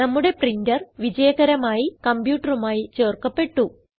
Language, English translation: Malayalam, Our printer is successfully added to our computer